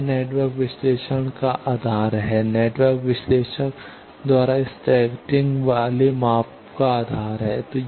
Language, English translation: Hindi, This is the basis of network analysis, basis of scattering parameter measurement by network analyzer